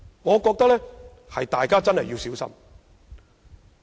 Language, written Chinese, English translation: Cantonese, 我認為大家真的要小心。, I think we should all be very careful in this respect